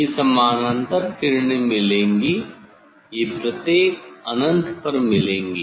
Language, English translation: Hindi, They will meet parallel rays; they will meet at each infinity